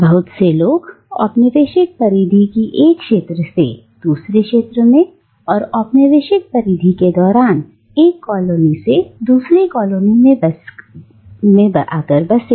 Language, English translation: Hindi, Many people were simply displaced during colonialism from one area of the colonial periphery to another, from one colony to another